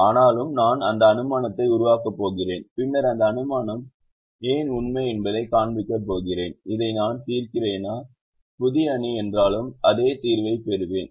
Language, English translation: Tamil, but nevertheless i am going that assumption and later show why that assumption is true, that whether i solve this, the new matrix, i will get the same solution